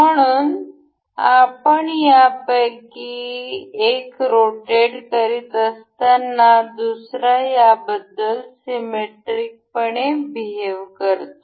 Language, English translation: Marathi, So, as we rotate one of them, the other one behave symmetrically about each other